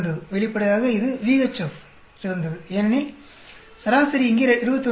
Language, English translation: Tamil, Obviously this, VHF is the best because the average is 21